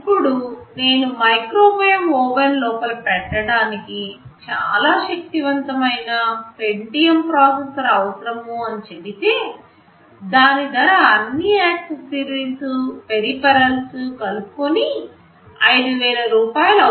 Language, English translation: Telugu, Now if I say that I need a very powerful Pentium processor to be sitting inside a microwave oven, the price of that Pentium processor itself will be 5000 rupees including all accessories and peripherals, then this will be economically not viable